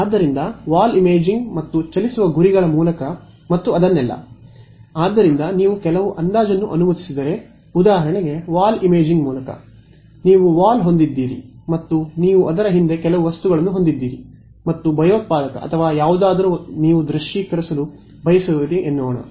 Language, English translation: Kannada, So, through the wall imaging and moving targets and all of that; so, if you allow for some approximation so through the wall detection for example: is that you have a wall and you have some objects behind it and let us say a terrorist or something you want to visualize it